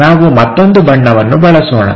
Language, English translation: Kannada, Let us use other color